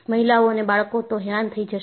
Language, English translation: Gujarati, Women and children will be annoyed